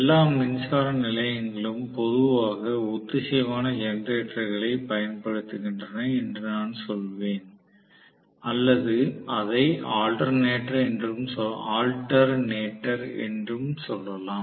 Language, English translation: Tamil, So, I would say all the power stations generally used synchronous generator or we may call that as alternator, we may also call that as alternator